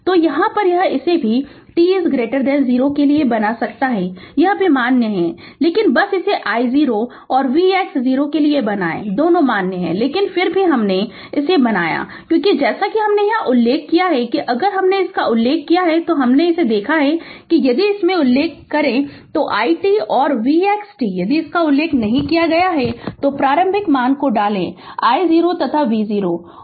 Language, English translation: Hindi, So, I t here also you can make it for to all t less than 0 it is also I t also is valid, but ah you just make it for I 0 and v x 0 both are valid, but still I have made it, because as as we have as we have mention it here if you have mention I overlook this one if you have mention in this one then I t and v x t is ok if it is not mentioned then you put initial value that I 0 and v 0 right